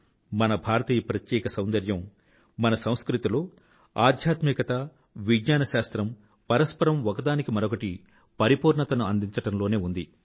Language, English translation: Telugu, This is India's unique beauty that spirituality and science complement each other in our culture